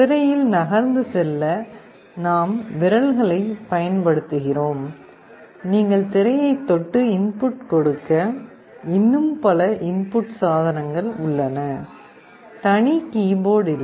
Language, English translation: Tamil, We use our fingers to navigate on the screen; there are many other input devices where you can touch the screen and feed our inputs; there is no separate keyboard